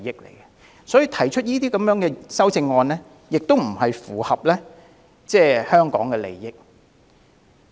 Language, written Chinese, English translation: Cantonese, 同樣地，提出上述修正案亦不符合香港的利益。, Likewise it is against the interests of Hong Kong to propose such an amendment